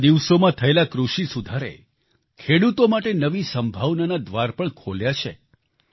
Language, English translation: Gujarati, The agricultural reforms in the past few days have also now opened new doors of possibilities for our farmers